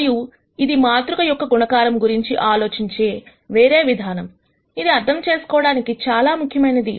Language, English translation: Telugu, And this is another way of thinking about matrix multiplications, which is important to understand